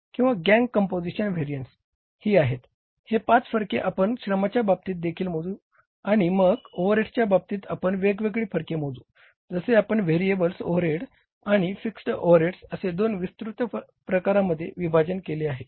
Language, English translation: Marathi, These 5 variances we will calculate in case of the labour also and then in case of the overheads we calculate different variances like broadly we divide the overheads into two broad categories, variable overheads and the fixed overheads